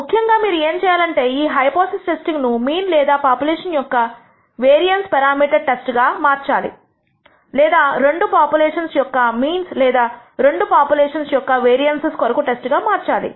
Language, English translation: Telugu, Typically what you have to do is to convert this hypothesis into a test for the mean or variance parameter of a population or perhaps a difference in the means of two populations or the di erence of vari ances of the two population